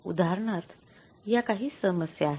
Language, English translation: Marathi, So, for example, these are some problems